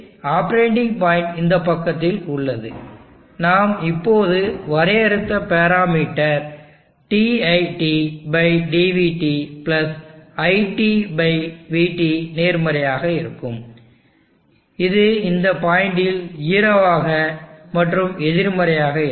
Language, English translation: Tamil, So in the operating point is on this side, the parameter that we just defined dit/dvt +IT/VT that will be positive here, it will 0 at this point and it will be negative here